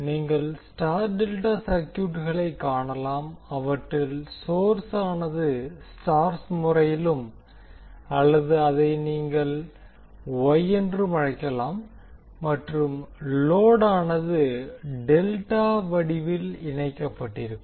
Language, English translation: Tamil, So you will see there we have wye delta circuits where the source is connected in star or you can say wye and load is connected in delta form